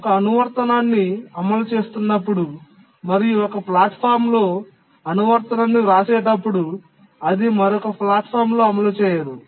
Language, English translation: Telugu, If you run an application, you write an application on one platform, it will not run on another platform